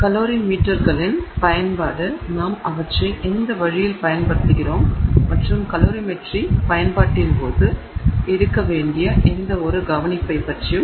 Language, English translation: Tamil, Usage of calorie meters in what way are we using them and any kind of care that needs to be taken during calorymetry